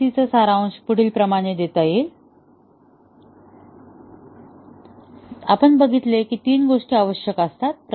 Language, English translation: Marathi, To summarize MCDC, we said that there are three things that are required